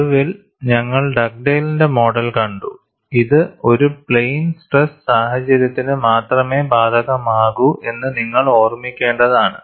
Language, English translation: Malayalam, Then finally, we had seen the Dugdale’s model and we will have to keep in mind this is applicable only for a plane stress situation